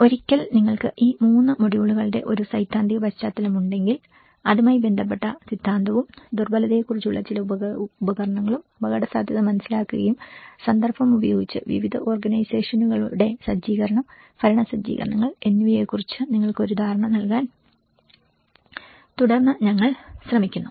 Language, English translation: Malayalam, So, once if you have a theoretical background of these 3 modules, what is the theory related to it and some of the tools on vulnerability, understanding the vulnerability and with the context, then we try to give you an understanding of the setup of various organizations, the governance setups